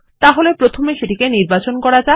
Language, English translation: Bengali, So, first select it